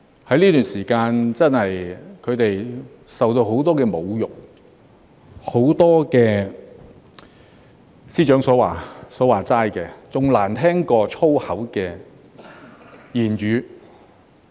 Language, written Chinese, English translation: Cantonese, 在這段時間，他們真的受到很多侮辱，很多......即司長所說的"比髒話更難聽"的言語。, Throughout this period of time they have actually been subjected to countless insults numerous I mean remarks that the Secretary described as more awful than swearing